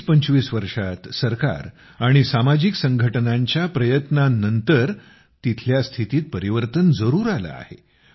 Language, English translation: Marathi, During the last 2025 years, after the efforts of the government and social organizations, the situation there has definitely changed